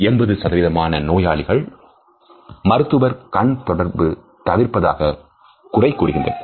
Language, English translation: Tamil, 80 percent of all patient complaints in hospitals mention a lack of eye contact between the doctor and the